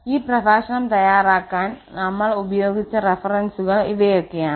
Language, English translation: Malayalam, So these are the references which we have use for preparing this lecture